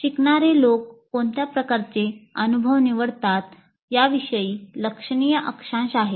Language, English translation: Marathi, There is considerable latitude in what kind of experiences are chosen by the learner